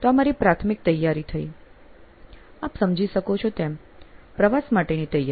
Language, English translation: Gujarati, So, it is one of my preparatory ,you know, preparation for travel